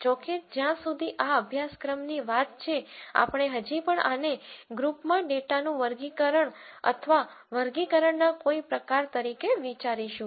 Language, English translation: Gujarati, However, as far as this course is concerned, we would still think of this as some form of classification or categorization of data into groups